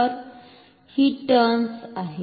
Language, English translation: Marathi, So, these are the turns